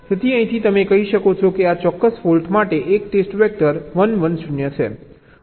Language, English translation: Gujarati, so from here you can say that for this particular fault there is a single test vector, one, one zero